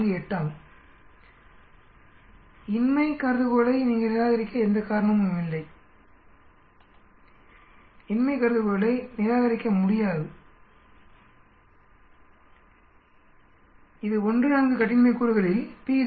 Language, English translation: Tamil, 48 at 95 percent confidence, there is no reason for you to reject the null hypothesis, cannot reject the null hypothesis this is at 1 comma 4 degrees of freedom at p is equal to 0